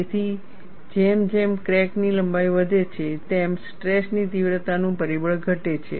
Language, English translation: Gujarati, So, as the crack length increases, the stress intensity factor decreases